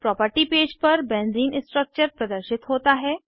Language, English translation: Hindi, Benzene structure is displayed on the property page